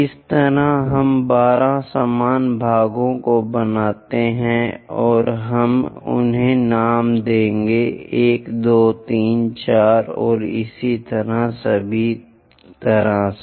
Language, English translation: Hindi, In that way, we make 12 equal parts, and we will name them, 1 2 3 4 and so on all the way to